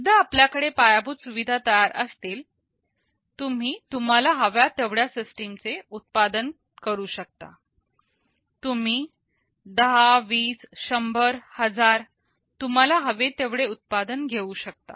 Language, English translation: Marathi, Once we have that infrastructure ready, you can manufacture the systems as many you want; you can manufacture 10, 20, 100, 1000 as many you want